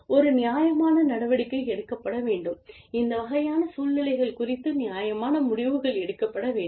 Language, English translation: Tamil, And, a reasonable action should be taken, reasonable decisions should be taken, regarding these types of situations